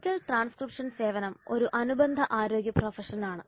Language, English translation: Malayalam, So medical transcription service is an allied health profession